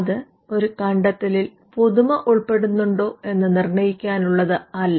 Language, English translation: Malayalam, It is not directed towards determining whether an invention involves novelty